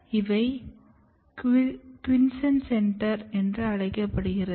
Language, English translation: Tamil, These cells are called quiscent centre, this is QC